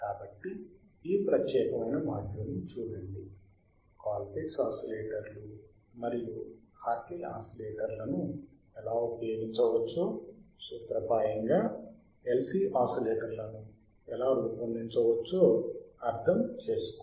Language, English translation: Telugu, So, look at this particular module, understand how the Colpitt’s oscillators and the Hartley oscillators can be used; in principle how the LC oscillators can be designed